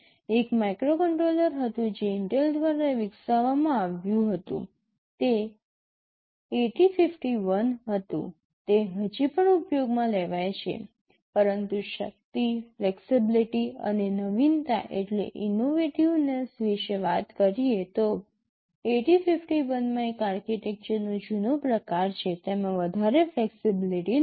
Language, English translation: Gujarati, There was one microcontroller which was developed by Intel, it was 8051, it is still being used, but talking about the power, flexibility and innovativeness, 8051 has an old kind of an architecture, it does not have too much flexibility